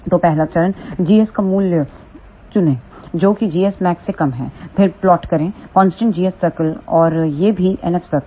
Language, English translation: Hindi, So, the first step is choose the value of g s which is less than g s max then plot the constant g s circle and also plot NF circle